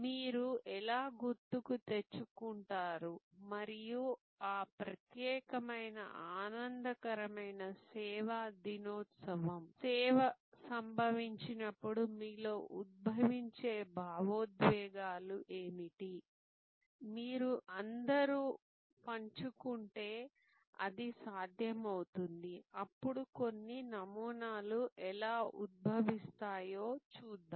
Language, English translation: Telugu, How do you recall and what are the emotions that are evoked when you thing about that particular joyful service day, service occurrence, it will be could if you all share then we will see how certain patterns emerge